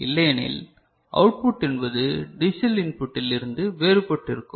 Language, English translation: Tamil, Otherwise, the output will be you know, something different from what the digital input is